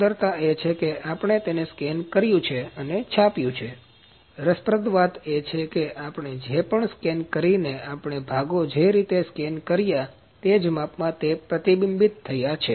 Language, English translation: Gujarati, The beauty is that we have scanned and printed them, the interesting thing is that whatever we scan we got the components exactly matching the features of those were scanned